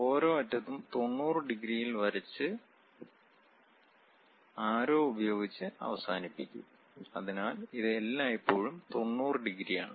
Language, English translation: Malayalam, And the segments at each end drawn at 90 degrees and terminated with arrows; so, this always be having 90 degrees